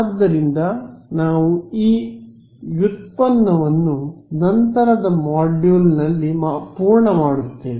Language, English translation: Kannada, So, this we will complete this derivation in the subsequent module ok